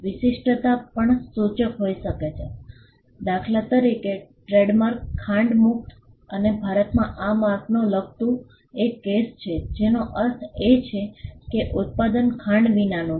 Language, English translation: Gujarati, Distinctiveness can also be suggestive; for instance, the trademark sugar free and there was a case in India pertaining to this mark means the product is free of sugar